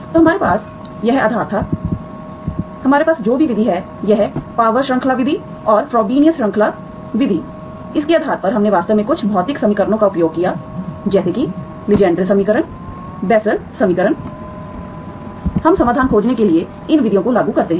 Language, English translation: Hindi, So we, we had this base, whatever method we have, this power series method and Frobenius series method, based on this we actually used some physical equations such as Legendre’s equation, Bessel equation, we apply these methods to find the solutions